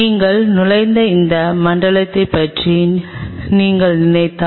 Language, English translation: Tamil, If you think of this zone where you were entering